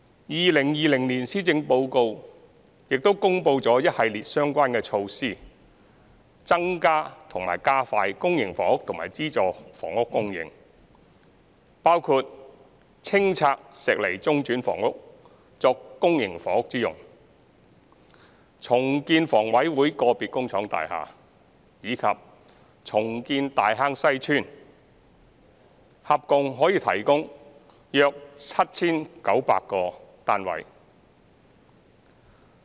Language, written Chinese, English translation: Cantonese, 2020年施政報告亦公布了一系列相關措施，增加或加快公營房屋和資助房屋供應，包括清拆石籬中轉房屋作公營房屋之用、重建香港房屋委員會個別工廠大廈，以及重建大坑西邨，合共可以提供約 7,900 個單位。, The 2020 Policy Address has announced a series of relevant measures to increase or expedite the supply of public housing and subsidized housing . These measures include the clearance of Shek Lei Interim Housing for public housing use redevelopment of some factory estates of the Hong Kong Housing Authority HA and redevelopment of Tai Hang Sai Estate which can provide about 7 900 units in total